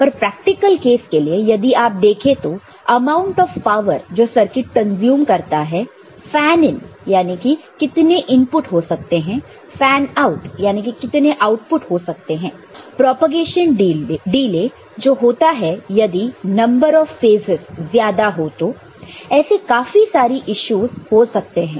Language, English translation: Hindi, But, in practical cases you see, that amount of power you consume, amount of power the circuit consumes, the fan in how many input can be there, fanout how many output can be there, propagation delays if number of phases get you know, becomes very much, so many such issues would be there